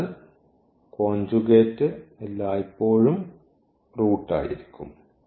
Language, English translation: Malayalam, So, the conjugate will be always there as the root